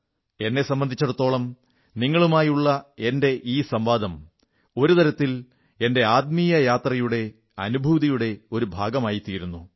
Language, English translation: Malayalam, For me, this nonvocal conversation with you was a part of my feelings during my spiritual journey